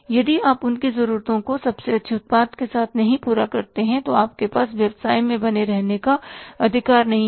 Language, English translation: Hindi, If you cannot serve their needs be the best product, you don't have the right to be in the business